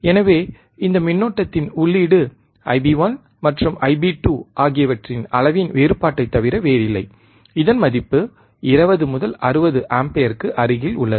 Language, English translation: Tamil, tThus, input of this current is nothing but difference of or magnitude of io I b 1 minus I b 2 Ib1 and Ib2 and the value is close to 20 to 69 ampere